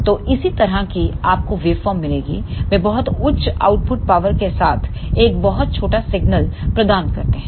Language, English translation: Hindi, So, correspondingly you will get the waveform like this they provide a very small signal with very high output power